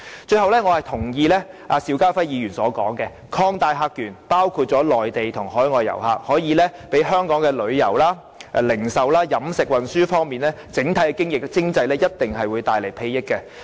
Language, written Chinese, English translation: Cantonese, 最後，我認同邵家輝議員的說法，擴大客源，包括內地和海外遊客，一定可以為香港的旅遊、零售、飲食和運輸業，以及整體的經濟帶來裨益。, Finally I agree with Mr SHIU Ka - fai that the expansion of visitor sources including Mainland and overseas visitors will definitely benefit the tourism industry the retail industry the catering industry and the transport industry as well as the economy as a whole